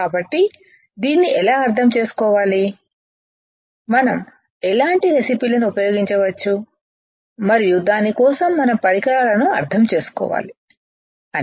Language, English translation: Telugu, So, how to understand this, what kind of recipes we can use and for that we need to understand the equipment